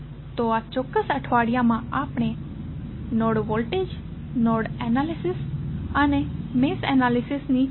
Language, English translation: Gujarati, So, in this particular week we discussed about node voltage, nodal analysis and mesh analysis